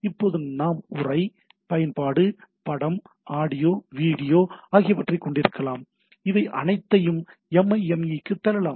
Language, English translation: Tamil, So we can now we have text, application, image, audio, video which can be pushed to this all MIME